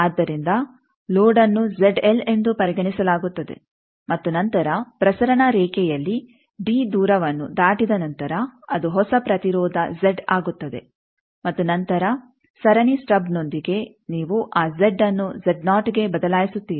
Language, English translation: Kannada, So, the load is considered as Z l and then after traversing a distance d in the transmission line, it becomes a new impedance Z and then with the series stub you change that Z to Z naught